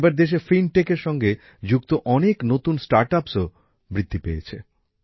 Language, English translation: Bengali, Now many new startups related to Fintech are also coming up in the country